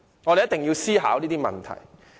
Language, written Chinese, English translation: Cantonese, 我們要思考這些問題。, These are the problems we have to consider